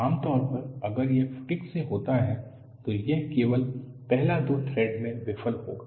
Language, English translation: Hindi, Usually if it is by fatigue, it would fail only in the first two threads